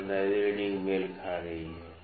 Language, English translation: Hindi, So, 15th reading is coinciding